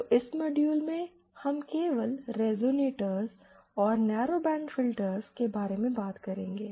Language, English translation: Hindi, So, let us in this module we will be just discussing about the resonators and narrowband filters